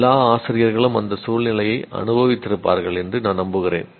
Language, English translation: Tamil, That is, I'm sure all teachers would have experienced that situation